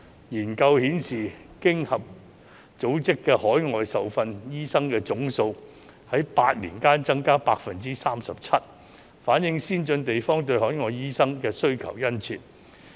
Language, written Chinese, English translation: Cantonese, 研究顯示，經濟合作與發展組織的海外受訓醫生總數在8年間增加了 37%， 反映先進地方對海外醫生的需求殷切。, Studies indicate that the total number of overseas - trained doctors in OECD countries has increased by 37 % in eight years showing a strong demand for overseas doctors in advanced places